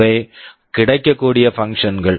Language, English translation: Tamil, And these are the functions that are available